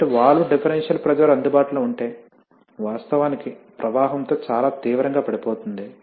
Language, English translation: Telugu, So, if valve differential pressure available, actually falls quite sharply with the flow